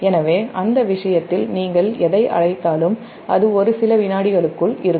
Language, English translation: Tamil, so in that case your, what you call it, is basically within a few second